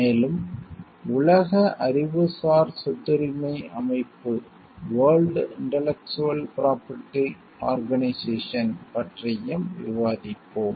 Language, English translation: Tamil, And we will also discuss about world intellectual property organization